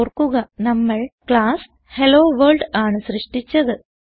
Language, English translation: Malayalam, Recall that we created class HelloWorld